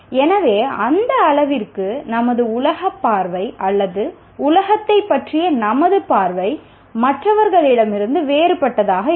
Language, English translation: Tamil, So to their extent our world view or our view of the world will be different from the others